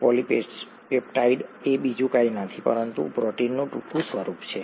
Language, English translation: Gujarati, A polypeptide is nothing but a shorter form of protein